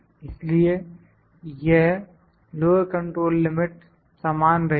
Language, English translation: Hindi, So, this lower control limit remains the same